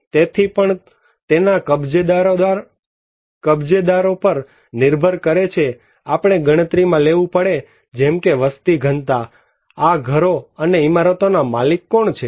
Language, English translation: Gujarati, So and also it depends on the occupancy details, we have to take like the population density, who are the owner of these houses and buildings